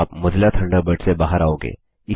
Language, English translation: Hindi, You will exit Mozilla Thunderbird